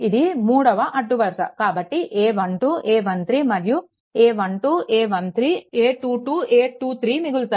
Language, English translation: Telugu, This is the third row ah so, a 1 2, a 1 3 and a 1 2, a 1 3 and a 2 2, a 2 3 will be remaining, right